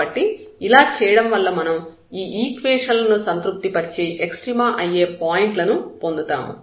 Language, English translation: Telugu, So, by doing this we will precisely get those equations which we have derived that at the point of extrema these equations must be satisfied